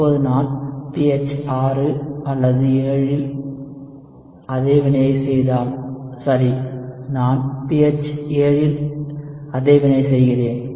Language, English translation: Tamil, Now, if I do the same reaction at pH = 6 or 7, ok, let us say I am doing the same reaction at a pH = 7